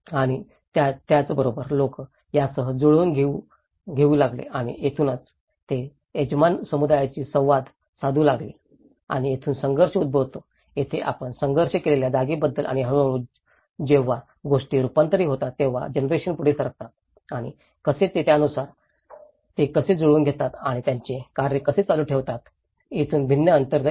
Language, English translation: Marathi, And with that people started adjusting with this and that is where they come interacted with the host community and that is where conflicts arise, this is where we talk about the conflicted space and gradually, when things get adapted, when generation moved on and how they accustom, how they adapted and how they continue their practices that is where a differential space comes